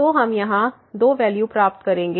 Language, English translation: Hindi, So, we will get here the value 2 ok